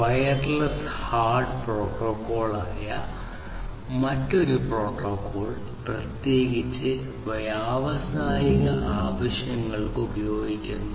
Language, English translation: Malayalam, So, this wireless HART protocol is used particularly for industrial applications